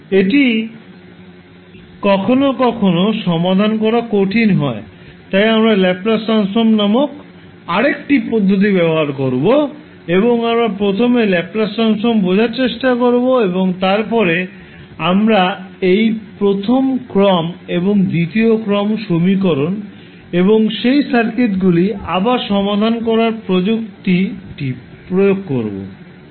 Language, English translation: Bengali, It is sometimes difficult to solve, so we will use another technic called laplace transform and we will try to understand first the laplace transform and then we will apply the technic to solve this first order and second order equations and first order and second order circuits again